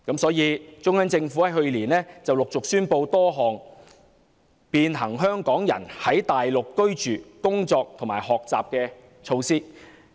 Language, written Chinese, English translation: Cantonese, 中央自去年陸續宣布多項便行香港人在內地居住、工作和學習的措施"。, Since last year the Central Government has introduced a series of measures to provide facilitation for Hong Kong people living working and studying in the Mainland